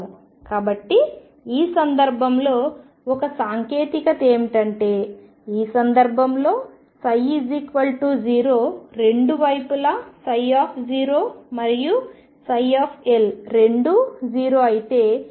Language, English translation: Telugu, So, one technique could be in this case in which case the psi 0 on 2 sides psi 0 and psi L both are 0 this is x equals 0 x equals L